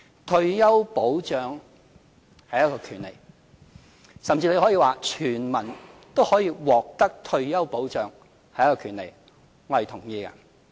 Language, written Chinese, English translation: Cantonese, 退休保障是權利，甚至可以說，全民都可以獲得退休保障是權利，我是同意的。, The people has a right to retirement protection . We can even say that everyone has a right to universal retirement protection . I agree